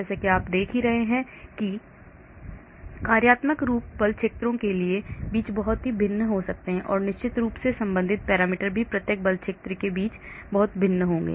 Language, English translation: Hindi, So as you can see the functional forms can be very different between force fields and of course the corresponding parameters also will be very different between each force fields